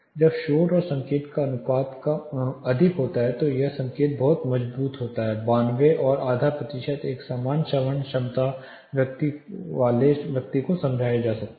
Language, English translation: Hindi, When the signal noise ratio is quiet that is almost the signal is very strong, 92 and half percent can be understood for a normal hearing capacity person